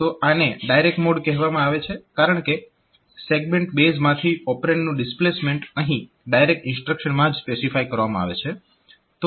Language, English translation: Gujarati, So, this is called direct mode because the displacement of the operand from the segment base is specified directly in the instruction itself